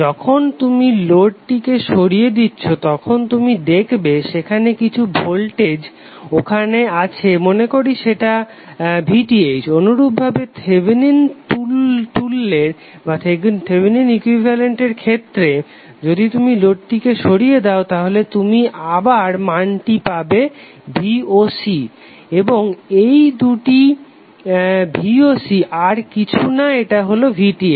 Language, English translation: Bengali, When you remove the load you will see some voltage let us say it is voc similarly for the Thevenin equivalent that is here if you remove the load you will again get the value voc and these two voc are same because this voc would be nothing but VTh